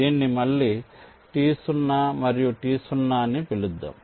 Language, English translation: Telugu, lets again call it t zero and t zero